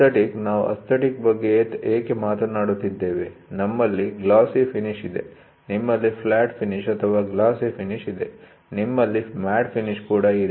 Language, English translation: Kannada, So, aesthetic, so why are we talking about aesthetic is, we have a glossy finish, you have a flat finish or a glossy finish, you also have something called as a matte finish